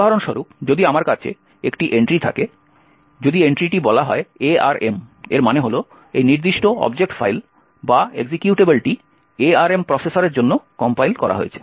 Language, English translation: Bengali, What this means, for example if I have an entry, if the entry is let us say, arm, it means that this particular object file or executable was compiled for the arm processor